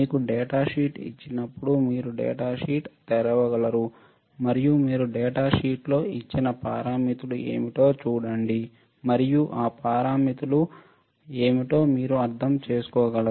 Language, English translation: Telugu, The idea is also that when you are given a data sheet can you open the data sheet and can you see what are the parameters given in the data sheet and can you understand what are the parameters right